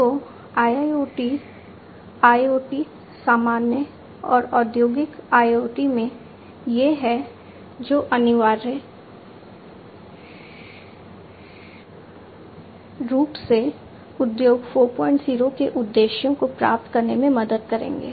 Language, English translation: Hindi, So, IIoT, IoT in general and industrial IoT, these are the ones, which essentially will help achieve the objectives of Industry 4